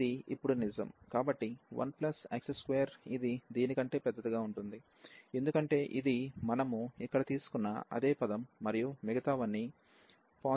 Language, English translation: Telugu, So, 1 plus x square this will be larger than this one, because this is exactly the same term we have taken here and all other are positive terms